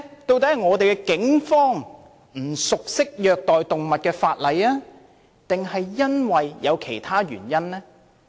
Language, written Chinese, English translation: Cantonese, 究竟是警方不熟悉虐待動物的法例，抑或有其他原因？, Was it because the Police was unfamiliar with the law on animal cruelty or were there other reasons?